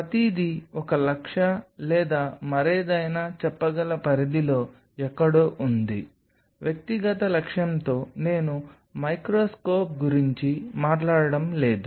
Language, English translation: Telugu, Everything is in somewhere in the range of the say one lakh or something, as individual objective I am not have been talking about the microscope